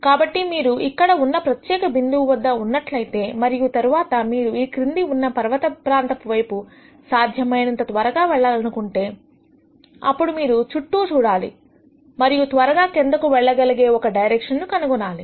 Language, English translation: Telugu, So, if you are at a particular point here and then you say look let me go to the bottom of the hill as fast as possible, then you would look around and nd the direction where you will go down the fastest